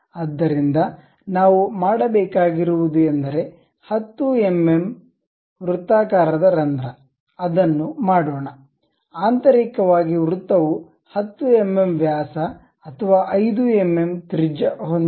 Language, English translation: Kannada, So, what we make is a circular hole of 10 mm we make it, internally circle 10 mm diameter or 5 mm radius click, ok